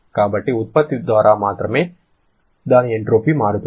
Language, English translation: Telugu, What will be the rate at which entropy changes